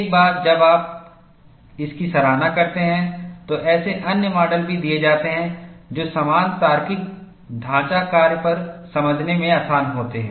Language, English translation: Hindi, Once you have appreciated this, there are also other models, that are given, which are easy to understand, on a similar logical frame work